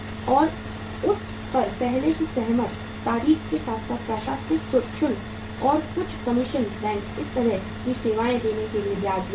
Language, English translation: Hindi, And the interest on that on the pre agreed date plus the administrative charges plus some commission banks charge for giving this kind of the services